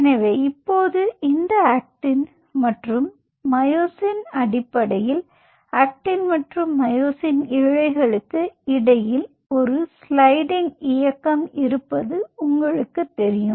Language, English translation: Tamil, ok, so now, and these actin and myosin essentially leads to what we call, as there is a sliding motion between actin and myosin filaments